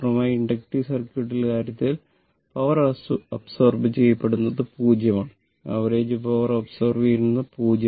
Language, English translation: Malayalam, In the in the case of a purely inductive circuit, power absorb is 0 average power absorb is 0